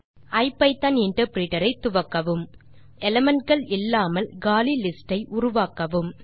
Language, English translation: Tamil, Start the ipython interpreter and first create an empty list with no elements